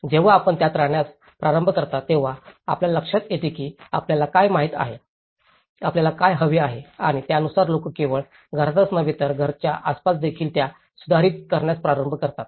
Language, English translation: Marathi, When you start living in it, you realize that you know, what you need and accordingly people start amending that, not only within the house, around the house